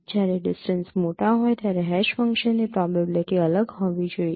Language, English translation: Gujarati, Similarly probability of hash function should be different when the distances are large